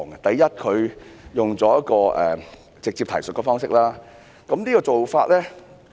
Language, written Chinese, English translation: Cantonese, 第一，它採用直接提述的方式，這種做法......, The first point is about the adoption of the direct reference approach